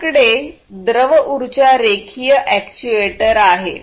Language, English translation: Marathi, Then you have the fluid power linear actuator